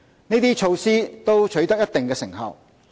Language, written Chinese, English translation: Cantonese, 這些措施都取得一定成效。, Such measures have borne fruit